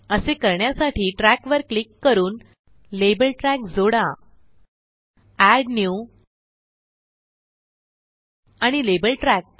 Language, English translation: Marathi, To do so, add a label track by clicking on Tracks gtgt add New and Label Track